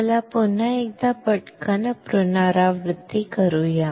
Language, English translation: Marathi, Let us repeat once again quickly